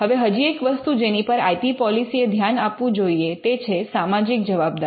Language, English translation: Gujarati, Now, one of the things that IP policy should consider this social responsibility